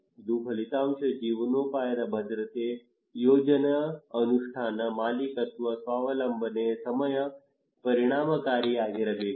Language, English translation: Kannada, And outcome; There should be livelihood security, plan implementation, ownership, self reliance, time effective